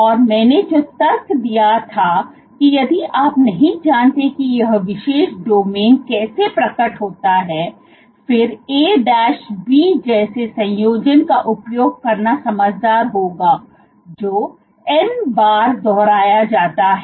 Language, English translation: Hindi, And what I reasoned was if you do not know how this particular domain unfolds, then it would be wiser to use a combination like A B which is repeated n times